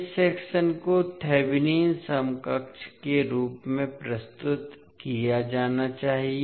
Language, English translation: Hindi, So this particular segment needs to be represented as Thevanin equivalent